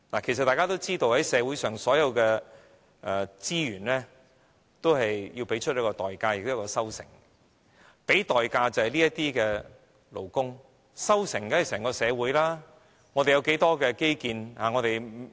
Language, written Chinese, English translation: Cantonese, 其實大家也知道，就社會上所有的資源，均要付出代價，然後才有收成，付出代價的人便是這些勞工，收成者便是整個社會，我們有多少基建？, In fact we all know that in respect of all the resources in society we have to pay a price for the result . The people who paid the price are these workers and the one that gets the result is the entire society . How many infrastructural facilities do we have?